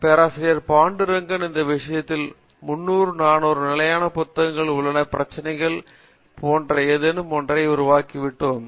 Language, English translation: Tamil, Pandurangan he said do all these things we did all that 300, 400 problems in standard book or something like that and we all create